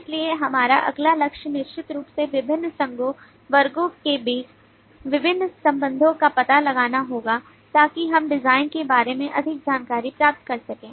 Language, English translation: Hindi, so our next target would certainly be to explore different association, different relationships amongst the classes within the classes so that we can infer more information about the design